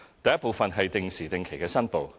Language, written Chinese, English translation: Cantonese, 第一部分是定時定期的申報。, The first part is regular declarations